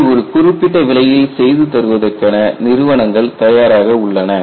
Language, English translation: Tamil, There are companies ready to do this for a price